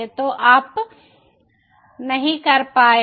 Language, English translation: Hindi, so it is not accessible